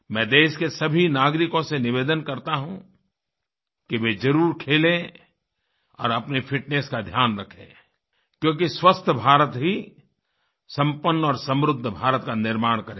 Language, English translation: Hindi, I request every citizen to make it a point to play and take care of their fitness because only a healthy India will build a developed and prosperous India